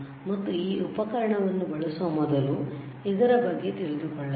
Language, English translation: Kannada, And before we use this equipment we should know about this equipment